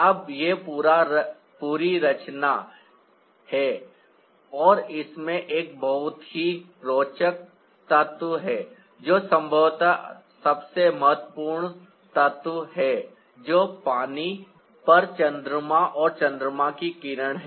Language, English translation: Hindi, now, this is the whole composition and it has a very interesting element in it, which is perhaps the most important element, that is the moon, and the moon beam on the water